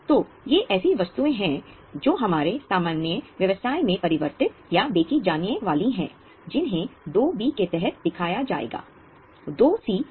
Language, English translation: Hindi, So, these are items which are meant to be converted or sold in our normal course of business, which will be shown under 2B